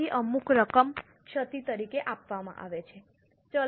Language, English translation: Gujarati, So, some amount is provided as impairment